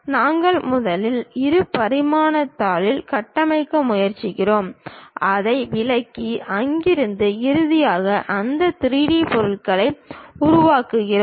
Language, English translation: Tamil, We first try to construct on two dimensional sheet, interpret that and from there finally, construct that 3D objects